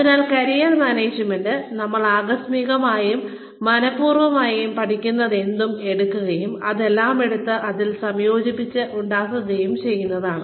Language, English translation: Malayalam, So, Career Management is taking, whatever we learn, incidentally and intentionally, and taking all of it, and making a combined whole, out of it